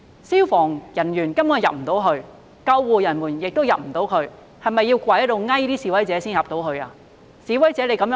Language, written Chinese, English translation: Cantonese, 消防和救護人員無法進入，是否要跪下來求示威者才可以進去呢？, Fire and ambulance personnel could not enter . Did they have to kneel down to beg protesters to let them in?